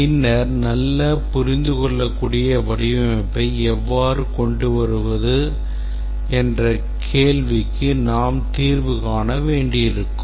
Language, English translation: Tamil, And then we'll have to address the question that how do we come up with a design that has good understandability